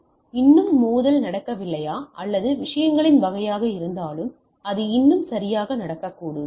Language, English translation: Tamil, Now, whether still collision not cannot happen or type of things, yes it may still happen right